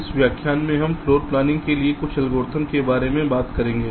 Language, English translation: Hindi, so in this lecture we shall be talking about some of the algorithms for floor planning